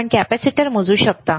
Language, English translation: Marathi, Can you measure the capacitor